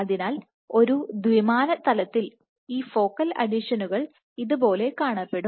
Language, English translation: Malayalam, So, you have a 2D plane and these focal adhesions would look like this